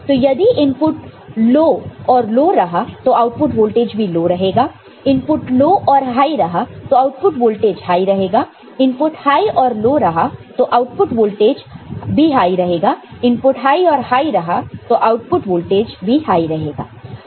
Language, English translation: Hindi, So, if input is low and low, the output voltage is also low; input is low and high output voltage is high; high and low, this output voltage is high; and high and high, this output voltage is high ok